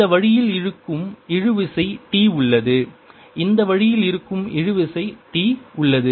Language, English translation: Tamil, now let us look at this part here there is tension, t pulling it this way there is tension, t pulling it